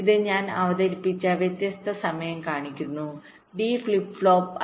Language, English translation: Malayalam, this shows the different timing that i have just introduced: d flip flop